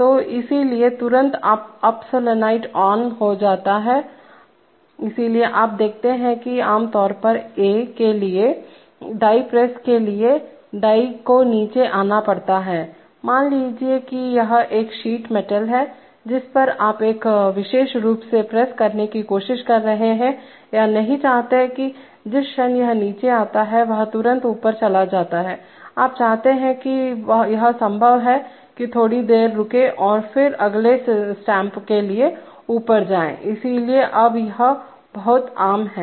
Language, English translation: Hindi, So therefore immediately the up solenoid becomes on, so you see that normally for a, for a die press, the die has to come down on the, suppose it is a sheet metal on which you are trying to press into a particular form then you do not want that the moment it comes below immediately it goes up, you want it to probably wait a little while and then go up for the next stamp, so now it is a very common